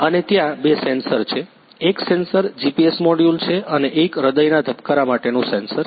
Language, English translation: Gujarati, And there are two sensors; one sensor is GPS module and the one is heartbeat sensor